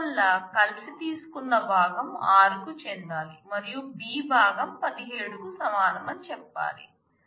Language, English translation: Telugu, So, you have to say component taken together must belong to r and the component b must be equal to 17